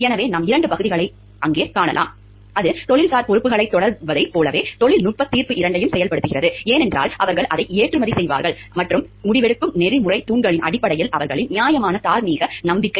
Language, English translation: Tamil, So, where we find two parts; like it is pursuing professional responsibilities, involves exercising both technical judgment, because they are the exporter it, and their reasoned moral conviction based on the ethical pillars of decision making